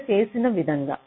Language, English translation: Telugu, example is shown here